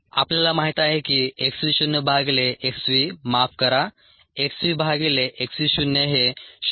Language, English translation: Marathi, we know that x v naught by x v sorry, x v by x v naught is point one